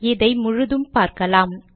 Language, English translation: Tamil, You can see it here